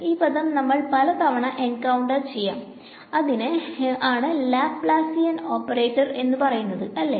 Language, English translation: Malayalam, This term we will encounter a few times; this is called the Laplacian operator right